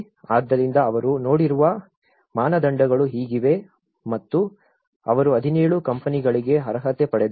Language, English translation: Kannada, So, this is how these are the criteria they have looked at and they qualified 17 of the companies